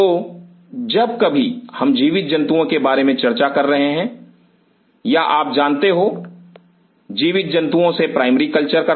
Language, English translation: Hindi, So, whenever we are talking about live animal or you know primary culture from right live animal